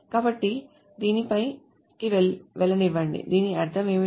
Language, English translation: Telugu, So let me go over this, what does it mean